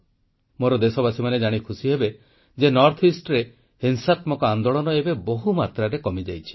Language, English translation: Odia, Countrymen will be thrilled to know that insurgency in the NorthEast has considerably reduced